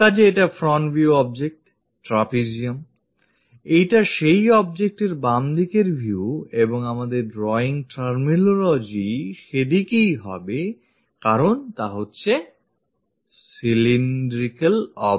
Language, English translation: Bengali, So, doing that, the front view object, this is the front view object, trapezium; this is the left side view of that object and our drawing terminology goes in this way because this is cylindrical object